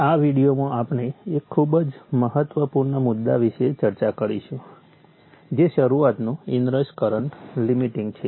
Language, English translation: Gujarati, In this video, we shall discuss about a very important point that is start up in rush current limiting